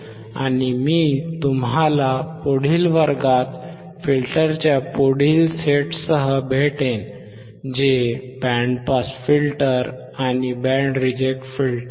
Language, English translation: Marathi, And I will see you in the next class with the next set of filter which is the band pass filter and band reject filter